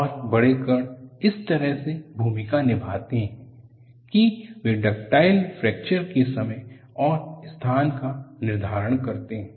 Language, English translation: Hindi, And what way the large particles play a role is, they determine the instant and location of ductile fracture